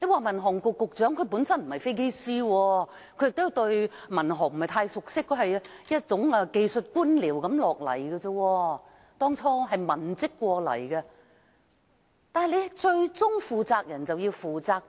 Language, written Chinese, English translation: Cantonese, 民航局局長本身不是飛機師，他對民航事務不是太熟悉，他是技術官僚，當初是文職調過來，但最高負責人便要負責。, The Director of the Civil Aviation Administration of China was not a pilot and he was not too familiar with civil aviation matters . He was a technocrat who had been transferred from a civilian post . Yet being the highest responsible person he had to take responsibility